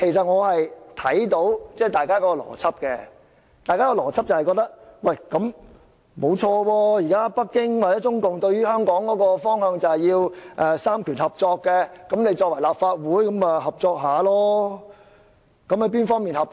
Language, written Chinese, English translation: Cantonese, 我明白大家的邏輯，認為既然北京或中共現時對於香港的方向就是要"三權合作"，立法會就要合作。, I understand the logic of Members . Since Beijing or CPC has set down the direction of cooperation of powers for Hong Kong the Legislative Council has to cooperate